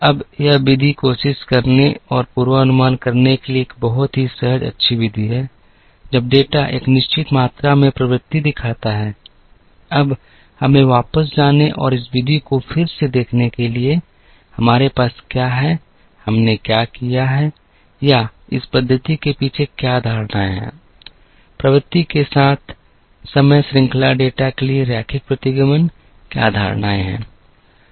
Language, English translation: Hindi, Now, this method is a very intuitive nice method to try and forecast, when the data shows a certain amount of trend, now let us go back and look at this method again, what have, we done or what are the assumptions behind this method of linear regression for time series data with trend, what are the assumptions